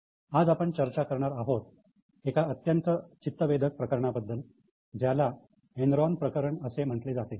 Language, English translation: Marathi, Today we will discuss about a very interesting case which is known as case of Enron